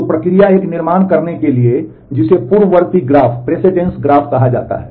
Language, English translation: Hindi, So, the process is to construct a what is called a precedence graph